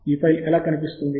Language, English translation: Telugu, and how does this file look